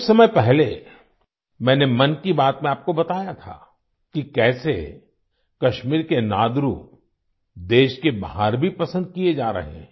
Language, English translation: Hindi, Some time ago I had told you in 'Mann Ki Baat' how 'Nadru' of Kashmir are being relished outside the country as well